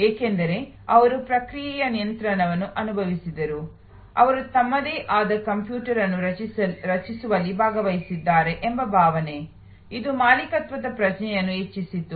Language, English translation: Kannada, Because, they felt in control of the process, the felt that they have participated in creating their own computer, it enhanced the sense of ownership